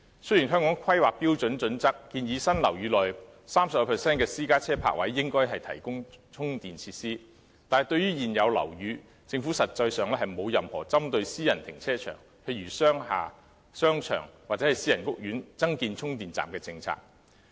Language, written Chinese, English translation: Cantonese, 雖然《香港規劃標準與準則》建議新樓宇內 30% 的私家車泊位應提供充電設施，但對於現有樓宇，政府實際上並沒有任何針對私人停車場，例如商廈、商場或私人屋苑增建充電站的政策。, Although it is suggested in the Hong Kong Planning Standards and Guidelines that in new housing developments 30 % of private car parking spaces should be equipped with charging facilities to the existing buildings the Government actually does not have any policy to require installation of additional charging stations in private car parks of for example commercial buildings shopping malls or private housing estates